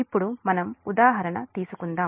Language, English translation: Telugu, now let us take, yes, an example